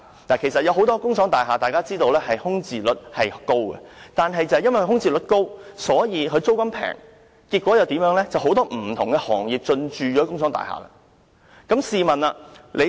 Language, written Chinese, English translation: Cantonese, 大家都知道很多工廠大廈的空置率高，正因為空置率高，租金便低，結果有很多不同的行業進駐工廠大廈。, As we all know many industrial buildings have high vacancy rates and because of the high vacancy rates the rents are low . As a result many different industries have moved into industrial buildings